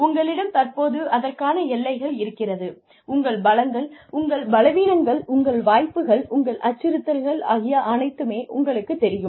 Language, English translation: Tamil, That you have currently, your limitations, your strengths, your weaknesses, your opportunities, your threats